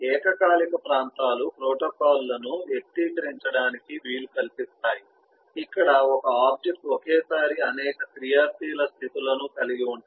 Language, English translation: Telugu, the concurrent regions make it possible express protocols where an instance can have several active states simultaneously